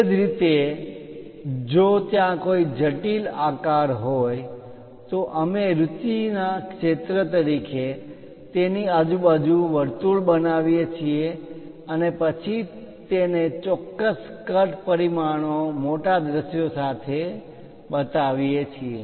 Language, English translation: Gujarati, Similarly, if there are any intricate shapes we encircle the area of interest and then show it as enlarged views with clear cut dimensions